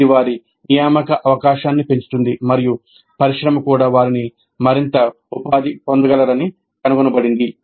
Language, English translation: Telugu, So this in turn enhances their placement opportunity and industry also finds them to be more employable